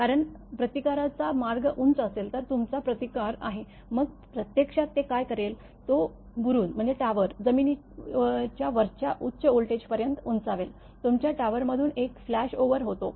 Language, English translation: Marathi, Because you have grounding resistance, if the resistance path is high; then there will be what it does actually, it will raise the tower to a very high voltage above the ground; causing a flash over from the your tower over the line insulator